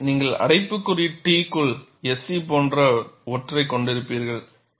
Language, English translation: Tamil, So, you will have something like SE within bracket T